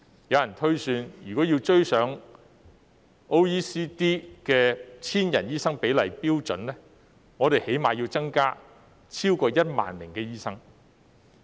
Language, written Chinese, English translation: Cantonese, 有人推算，若要追上 OECD 的每千人口醫生比例的標準，我們最低限度要增加超過1萬名醫生。, It is projected that to catch up with OECDs standard ratio of doctors per 1 000 people we need to increase the number of doctors by more than 10 000 at the minimum